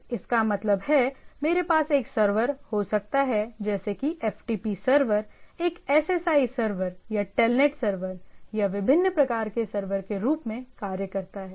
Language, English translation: Hindi, So, that means, I may have a server which acts as a say FTP server, a SSI server or a Telnet server or different type of server